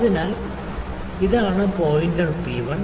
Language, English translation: Malayalam, So, this is the pointer P1